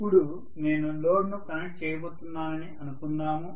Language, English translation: Telugu, Now let us say I am going to connect the load